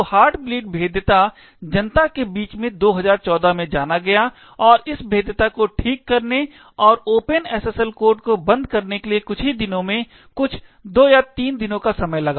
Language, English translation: Hindi, So the heart bleed vulnerability was known to the public in 2014 and it took just a few days, some 2 or 3 days to actually fix this vulnerability and patch the open SSL code